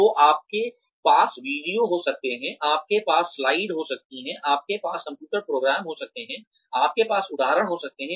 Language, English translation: Hindi, So you can have videos, you can have slides,you can have computer programs, you can have examples